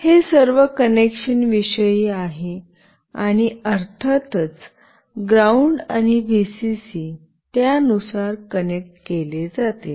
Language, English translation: Marathi, This is all about the connection, and of course ground and Vcc will be connected accordingly